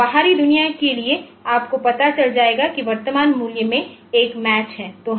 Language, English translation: Hindi, So, to the external world you will know that there is a match in the current value